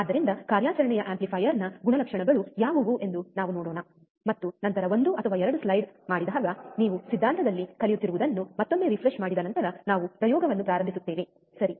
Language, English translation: Kannada, So, let us see what are the characteristics of the operational amplifier, and then when the when the after 1 or 2 slides, you will see that once you once you again refresh what you have been learning in theory then we will start the experiment, alright